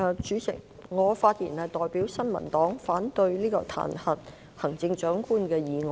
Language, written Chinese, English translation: Cantonese, 主席，我代表新民黨發言，反對這項彈劾行政長官的議案。, President I speak on behalf of the New Peoples Party to oppose this motion which aims to impeach the Chief Executive